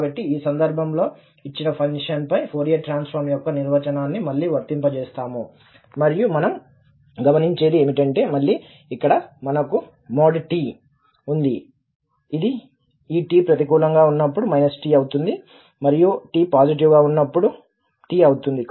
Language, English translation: Telugu, So, in this case, again, we will apply the definition of the Fourier Transform over this given function and what we observe because again this here we have this absolute value of t which says that it is minus t when this t is negative and t when t is positive